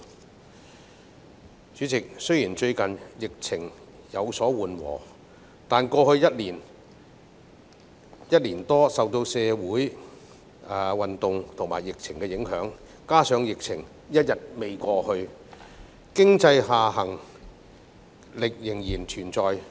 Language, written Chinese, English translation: Cantonese, 代理主席，雖然最近疫情有所緩和，但過去一年多受到社會運動及疫情影響，加上疫情尚未過去，經濟下行壓力仍然存在。, Deputy President although the epidemic situation has recently eased the impact of the social movements and the epidemic situation in the past year or so still persists and the epidemic situation is yet to be over thereby putting downward pressures on the economy